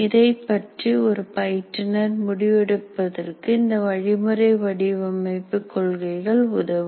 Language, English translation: Tamil, So that is what the principles of instructional design will help the instructor to decide on this